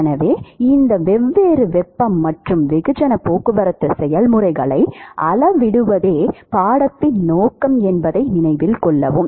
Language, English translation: Tamil, So, note that the objective of the course is to quantify these different heat and mass transport processes